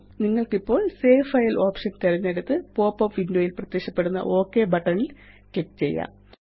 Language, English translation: Malayalam, Now you can select the Save File option and click on the Ok button appearing in the popup window